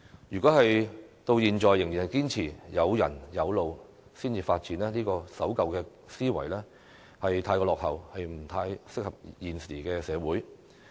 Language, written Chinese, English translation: Cantonese, 如果政府至今仍然堅持有人有路才會發展的守舊思維，便未免過於落後，不合時宜。, If the Government still clings to its old way of thinking that development should be only undertaken when there are people and roads it will be a bit inopportune and outdated